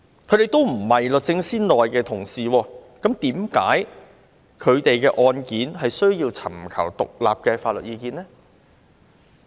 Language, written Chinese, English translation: Cantonese, 他們都不是律政司內的同事，為甚麼他們的案件卻需要尋求獨立法律意見呢？, All of them were not a member of DoJ . Why did DoJ seek independent legal advice on these cases?